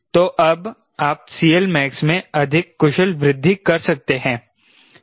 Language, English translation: Hindi, so now you can have a more efficient enhancement in the c l max